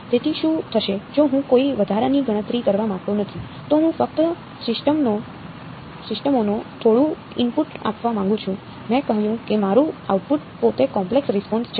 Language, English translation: Gujarati, So, what will be the, if I do not want to do any additional calculations, I just want to give some input to the systems I said my output is itself the impulse response